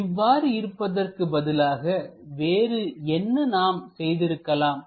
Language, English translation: Tamil, Instead of that, what we could have done